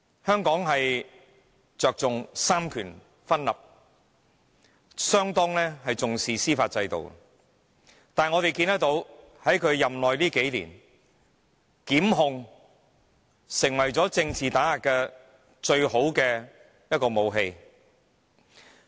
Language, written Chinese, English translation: Cantonese, 香港着重三權分立，相當重視司法制度，但是我們看到，在他任內這數年，檢控成為了政治打壓的最佳武器。, In Hong Kong we place emphasis on the separation of powers and attach great importance to the judicial system . However we noticed that prosecution has become the best weapon of political oppression during his term of office